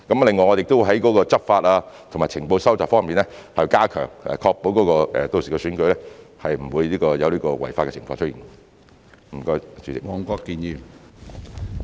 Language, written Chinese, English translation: Cantonese, 另外，我們亦會加強執法及情報收集方面的工作，確保屆時的選舉不會有違法的情況出現。, In addition we will also step up our law enforcement and intelligence gathering efforts to ensure that there will not be any violation of the law during the election